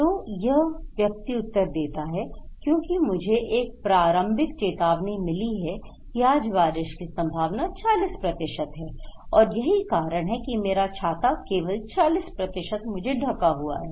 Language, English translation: Hindi, This person is answering because I receive an early warning today and is saying that there is a chance of rain 40% and that’s why only 40% of my umbrella is covered